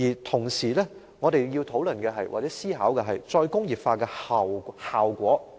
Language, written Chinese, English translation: Cantonese, 同時，我們要討論或思考"再工業化"的最終效果。, Meanwhile the eventual effects of re - industrialization warrant discussion or consideration by us